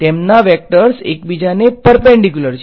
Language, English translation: Gujarati, Their vectors are perpendicular to each other right